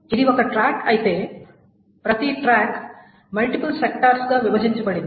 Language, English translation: Telugu, So if this is one track, each track is broken up into multiple sectors